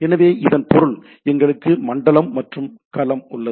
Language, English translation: Tamil, So that means, we have zone and domain